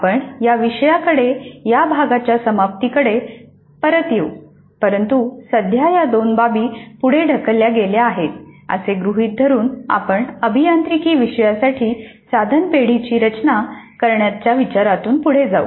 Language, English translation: Marathi, We will come back to this issue towards the end of this unit but for the present assuming that these two issues are deferred we will proceed with the idea of designing the item banks for an engineering course